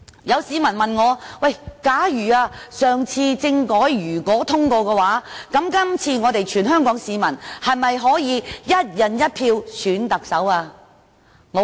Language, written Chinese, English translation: Cantonese, 有市民問我："假如上次政改獲通過的話，這次全港市民是否可以'一人一票'選特首呢？, Certain members of the public asked me If the constitutional reform was passed last time can all Hong Kong people be entitled to elect the Chief Executive by one person one vote now?